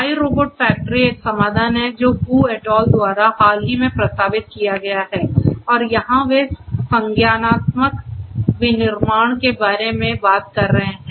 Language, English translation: Hindi, iRobot factory is a solution that is proposed very recently by Hu et al and here they are talking about cognitive manufacturing